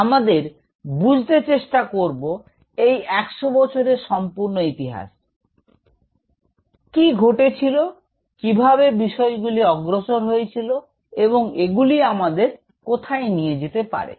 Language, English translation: Bengali, We will try to appreciate this whole history of 100 years; what is happened, how things are progressed and where this can take us